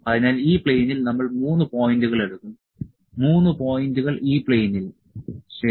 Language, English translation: Malayalam, So, we will take 3 points on this plane, 3 points on this plane, ok